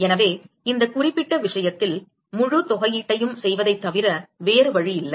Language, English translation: Tamil, So, in this particular case, we have no option but to do the full integration